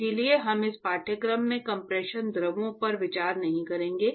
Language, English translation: Hindi, So, we will not deal with compressible fluids in this course